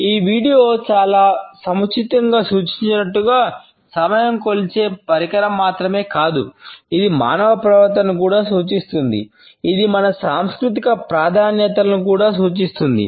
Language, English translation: Telugu, As this video very aptly suggest, time is not only a measuring instrument, it also indicates human behavior; it also indicates our cultural preferences